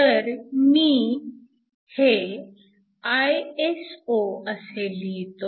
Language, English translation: Marathi, So, let me write this as Iso'